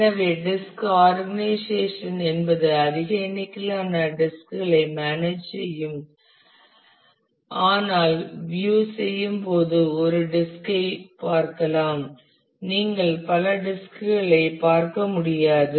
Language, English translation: Tamil, So, the disk organization that manage a large number of disk, but the view that you get you do not get to see the multiple disk you get to see a single disk